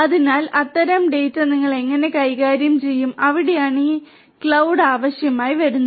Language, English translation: Malayalam, So, how do you handle that kind of data; that is where this cloud becomes necessary